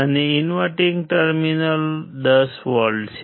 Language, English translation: Gujarati, And the inverting terminal is 10V